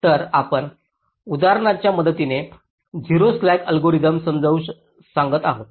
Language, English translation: Marathi, this is the basic objective of the zero slack algorithm